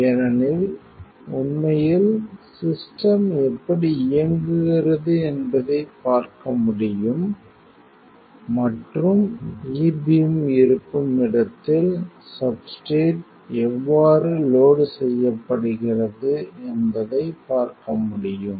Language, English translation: Tamil, Because actually you will be able to see how the system is in an operating mode, and you will see how the substrate is loaded where is the E beam